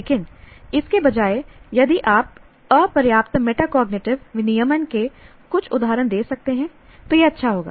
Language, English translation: Hindi, But instead of that obvious ones, if we can give some instances of inadequate metacognitive regulation, it will be nice